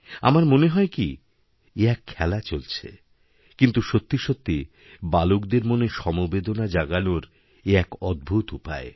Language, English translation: Bengali, We think as if it is a game going on , but in actuality, this is a novel way of instilling empathy in the child's mind